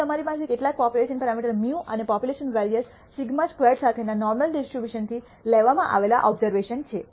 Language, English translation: Gujarati, If you have observations drawn from the normal distribution with some population parameter mu and population variance sigma squared